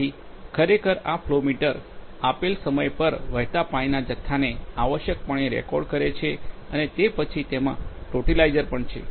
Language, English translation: Gujarati, So, actually this flow meter essentially records the quantity of water flowing at a given instance and then, it has a totalizer also